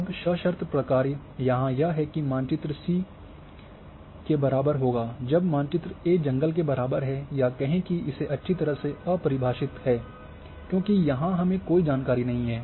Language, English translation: Hindi, Now, conditional functions are here that map C here should be equal to if map A equal to forest true or say undefined has well, because here we do not have any information